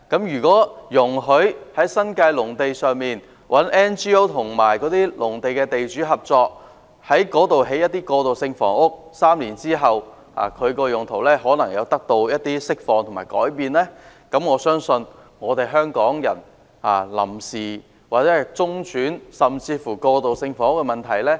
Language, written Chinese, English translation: Cantonese, 如果容許 NGO 與新界農地的地主合作在農地上興建過渡性房屋 ，3 年後其用途或許能釋放和改變，我相信已可解決香港人的臨時、中轉甚至過渡性房屋的問題。, If NGOs are allowed to build transitional housing on agricultural lands in collaboration with landlords of such lands in the New Territories those lands may be released or rezoned for use three years later . I believe they will be able to provide Hong Kong people with temporary interim or even transitional housing